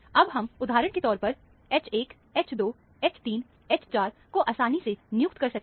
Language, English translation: Hindi, Now, we can assign, for example, the H 1, H 2, H 3, H 4 very easily